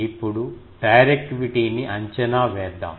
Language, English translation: Telugu, Now, we can come to the directivity